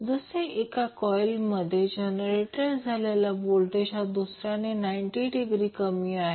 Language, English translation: Marathi, So, that the voltage generated by 1 lag coil lags the other by 90 degree